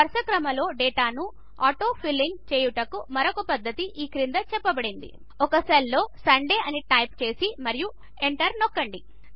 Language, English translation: Telugu, Another method for auto filling of sequential data is as follows Type Sunday in a cell and press Enter